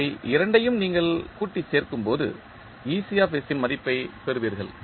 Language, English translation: Tamil, When you sum up both of them you will get the value of ecs